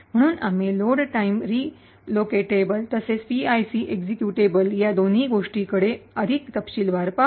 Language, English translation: Marathi, So will be looked at both the load time relocatable as well as the PIC executable in more details